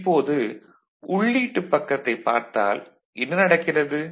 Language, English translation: Tamil, Now, if you look at the input side; what is happening